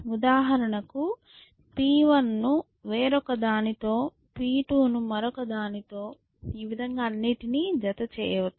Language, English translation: Telugu, So, for example, we may pair P 1 with some other one, P 2 with somebody else and so on and so forth